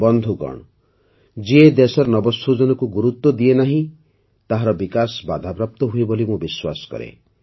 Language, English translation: Odia, Friends, I have always believed that the development of a country which does not give importance to innovation, stops